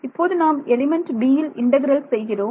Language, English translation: Tamil, So, when I am integrating over element a